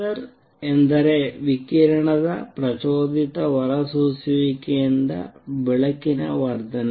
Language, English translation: Kannada, Laser means light amplification by stimulated emission of radiation